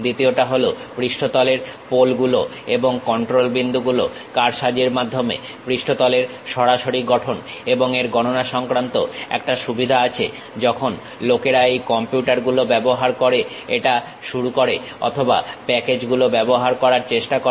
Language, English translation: Bengali, The second one is direct creation of surface with manipulation of the surface poles and control points and a computational advantage when people started using these computers or trying to use packages